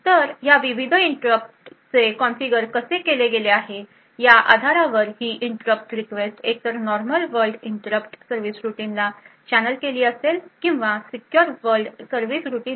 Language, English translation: Marathi, So, based on how these various interrupts are configured this interrupt request would be either channeled to the normal world interrupt service routine or the secure world interrupt service routine